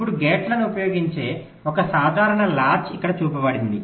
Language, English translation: Telugu, now a simple latch that uses gates is shown here